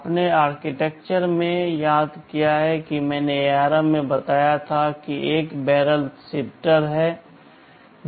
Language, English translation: Hindi, You recall in the architecture I told in ARM there is a barrel shifter